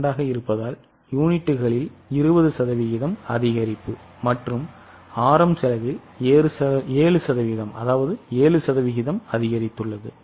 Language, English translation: Tamil, 2 because 20% increase in the units and 7% increase in the RM cost